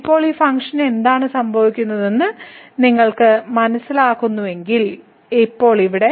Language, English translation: Malayalam, So now, if you realize what is happening to this function now here